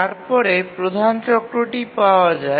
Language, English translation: Bengali, Now, how do we find the major cycle